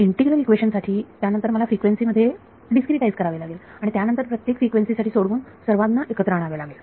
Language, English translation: Marathi, For the integral equation then I have to discretize in frequency solve for each frequency put it together That this discretization frequency could say the answer